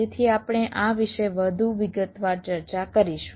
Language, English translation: Gujarati, so we shall be discussing this in more detail later